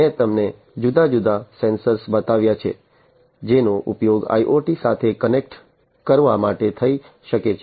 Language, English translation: Gujarati, I have shown you different sensors that can that could be used for connecting with IoT